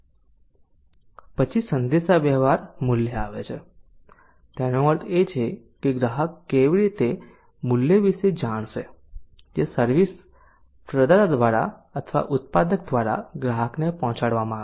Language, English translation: Gujarati, then comes the communicating value that means how the customer will come to know about the value that is being delivered by the service provider or by the producer to the customer so that is how the value is to be communicated